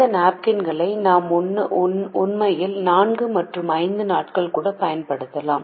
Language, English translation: Tamil, we can actually use these napkins even on days four and five